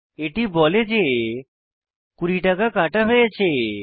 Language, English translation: Bengali, It says cash deducted 20 rupees